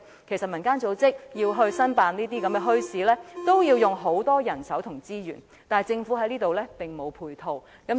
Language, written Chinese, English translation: Cantonese, 其實，民間組織申辦墟市，要花很多人手和資源，但政府在這方面並沒有提供配套。, Actually a community organization has to put in a lot of manpower and resources when applying to operate a bazaar but no support has been provided by the Government in this regard